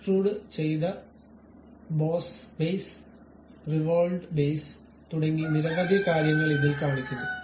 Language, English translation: Malayalam, Then it shows something like extruded Boss Base, Revolved Base and many things